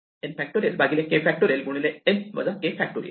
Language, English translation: Marathi, then n choose k is n factorial by k factorial into n minus k factorial